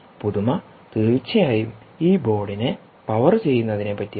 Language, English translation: Malayalam, novelty, indeed, is powering this board